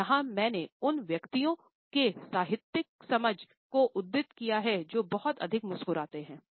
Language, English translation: Hindi, And here I have quoted from to literary understandings of those personalities where too much of a smiling is manifested